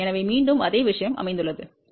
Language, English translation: Tamil, So, located again the same thing 0